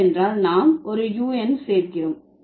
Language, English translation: Tamil, Because we are adding an on to it